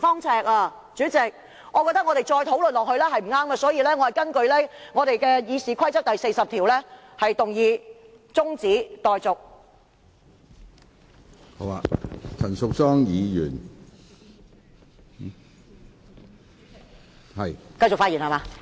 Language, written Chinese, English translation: Cantonese, 主席，我覺得再討論下去是不對的，所以，我根據《議事規則》第40條動議中止待續議案。, President I think it is wrong to continue with the discussion . Hence I propose a motion that the debate be now adjourned in accordance with Rule 40 of the Rules of Procedure